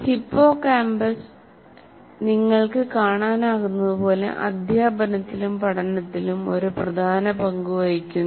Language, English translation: Malayalam, So hippocampus, as you can see, plays also an important role in terms of teaching and learning